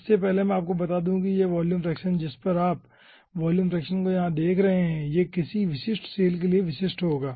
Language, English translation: Hindi, before that, let me tell you that this volume fraction, whatever you are seeing, that volume fraction will be unique for unique cell